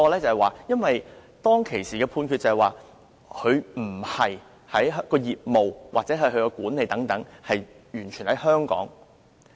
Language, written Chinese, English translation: Cantonese, 原因在於，當時的判決指，他們的業務或管理不是完全在香港。, The judgment then stated that the airline did not conduct all business or management activities in Hong Kong